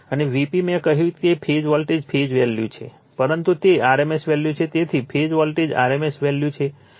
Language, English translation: Gujarati, And V p I have told you, it is phase voltage phase value, but it is rms value right, so phase voltage rms value right